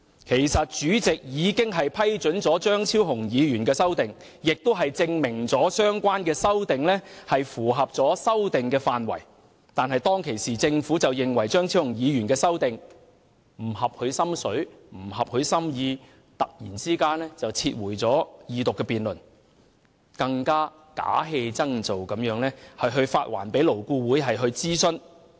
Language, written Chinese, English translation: Cantonese, 其實，主席已經批准張議員的修正案，證明他的修正案符合修訂範圍，但當時政府卻認為他的修正案不合其心意，突然撤回《條例草案》，更假戲真做地發還勞顧會諮詢。, Actually the fact that the President had given the green light to Dr CHEUNGs amendments was proof that his amendments were within the scope of the Bill but as the Government disliked his amendments it suddenly withdrew the Bill and farcically returned it to LAB for consultation